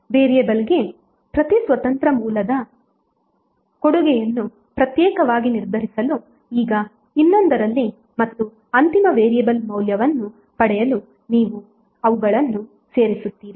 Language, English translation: Kannada, Now in another to determine the contribution of each independent source to the variable separately and then you add them up to get the final variable value